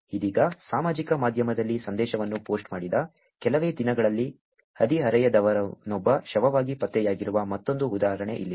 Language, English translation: Kannada, Now, here is another example where a teenager was found dead just days after posting a message on social media